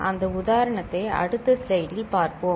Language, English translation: Tamil, We shall see that example in the next slide ok